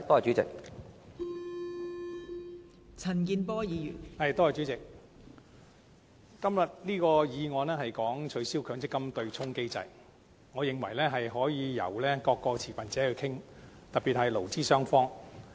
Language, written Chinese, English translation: Cantonese, 今天的議案關於取消強制性公積金對沖機制，我認為可以由各個持份者一起討論，特別是勞資雙方。, This motion today is about abolishing the Mandatory Provident Fund MPF offsetting mechanism which in my view can be a discussion among all stakeholders in particular employees and employers